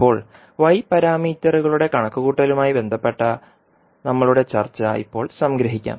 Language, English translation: Malayalam, So now, you can summarize our discussion till now related to the calculation of y parameters, so you can summarize our discussion in these two figures